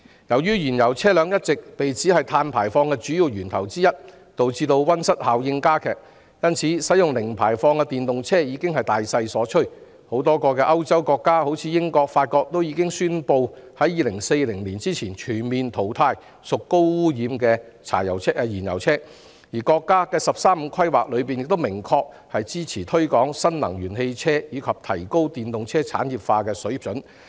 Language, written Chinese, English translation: Cantonese, 由於燃油車輛一直被指是其中一個主要碳排放源頭，導致溫室效應加劇，因此使用零排放電動車車輛已是大勢所趨，多個歐洲國家如英國、法國已宣布會在2040年前，全面淘汰屬高污染的燃油車，而國家的"十三五"規劃亦明確支持推廣新能源汽車及提高電動車產業化的水平。, Since fuel - engined vehicles have all along been pinpointed as one of the main sources of carbon emissions which aggravate the greenhouse effect using zero - emission electric vehicles has become the general trend . A number of European countries such as the United Kingdom and France have announced that they will eliminate highly polluting fuel - engined vehicles altogether before 2040 and the National 13 Five - Year Plan also clearly supports the popularization of new energy vehicles and upgrading of the industrialization level for electric car manufacturing